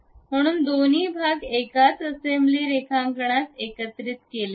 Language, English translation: Marathi, So, both the parts are brought together in a single assembly drawing